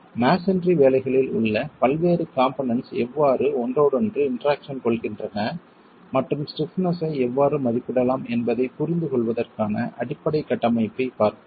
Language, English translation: Tamil, So, let's look at a basic framework to understand how different elements in masonry interact with each other and how stiffnesses can be estimated